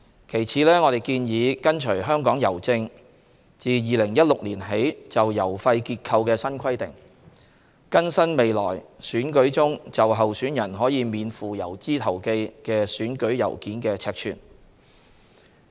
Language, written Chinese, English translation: Cantonese, 其次，我們建議跟隨香港郵政自2016年起就郵費結構的新規定，更新未來選舉中就候選人可免付郵資投寄的選舉郵件的尺寸。, Moreover we propose to follow the new requirement of Hongkong Post HKPost in respect of its postage structure adopted since 2016 and update the requirement on the size of postage - free letters in future elections